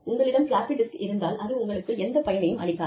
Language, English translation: Tamil, So, if you have a floppy disk, it is of no use to you